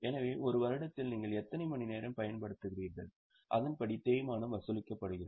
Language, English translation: Tamil, So, in a year how many hours you use accordingly the depreciation is charged